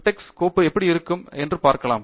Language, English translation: Tamil, Let us see how the tex file would look like